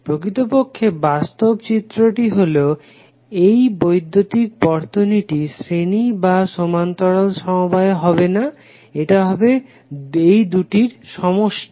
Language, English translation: Bengali, But actually in real scenario this electrical circuit will not be series or parallel, it will be combination of both